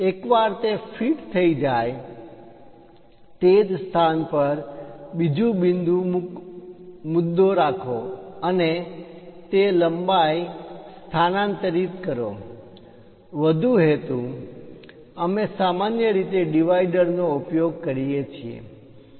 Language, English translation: Gujarati, Once that is fixed, use another point at same location and transfer that length; further purpose, we usually go with dividers